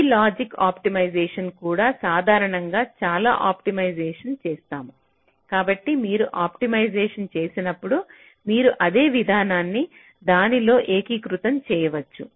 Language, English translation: Telugu, we usually do a lot of optimization, so when you do optimization, can you integrate the same process within that